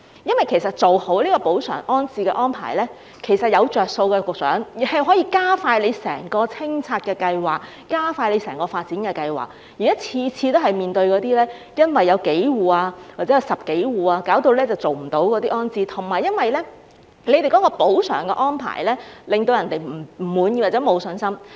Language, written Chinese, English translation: Cantonese, 局長，做好補償安置安排，其實是有好處的，可以加快整個清拆計劃和整個發展計劃，現在每次都是因為有數戶或10多戶而無法完成安置，加上補償安排令人不滿或沒有信心。, Secretary if compensation and resettlement are properly arranged this will actually bring benefits as it will speed up the entire demolition plan and the whole development plan . The present situation is that resettlement can usually not be arranged due to the issues with a few or a dozen households and the residents concerned are always dissatisfied with or have no confidence in the compensation arrangement